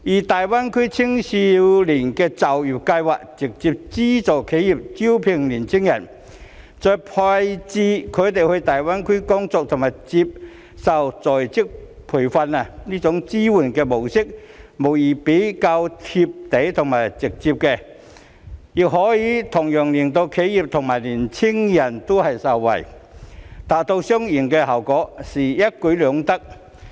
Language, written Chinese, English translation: Cantonese, 大灣區青年就業計劃則直接資助企業招聘年輕人，再把他們派到大灣區工作及接受在職培訓，這種支援模式無疑是較"貼地"及直接，亦可以令企業及年輕人同樣受惠，達到雙贏效果，實在一舉兩得。, The GBA Youth Employment Scheme on the other hand provides direct subsidies for enterprises to recruit young people and station them in GBA to work and receive on - the - job training . This mode of support is undoubtedly more down - to - earth and direct and can also benefit both the enterprises and young people thus achieving a win - win situation and killing two birds with one stone